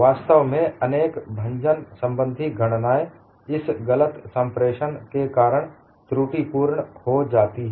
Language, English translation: Hindi, In fact, many fracture calculations, where erroneous because of this misinterpretation